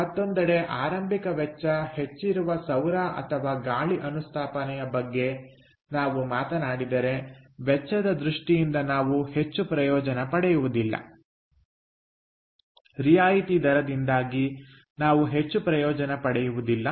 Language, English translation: Kannada, on the other hand, if we talk about the solar or wind installation, where the initial cost is high, we are not going to be benefit much in terms of the cost